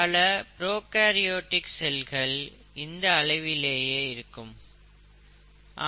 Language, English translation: Tamil, Many prokaryotic cells are of that size typically speaking